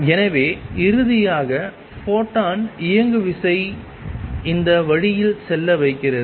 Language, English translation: Tamil, And therefore, finally, the photon momentum makes it go this way